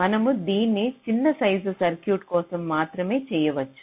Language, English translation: Telugu, you can do it only for smaller size circuits